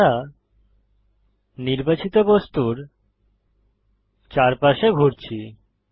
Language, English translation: Bengali, We are orbiting around the selected object